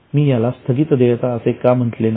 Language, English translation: Marathi, Why I did not call it as outstanding tax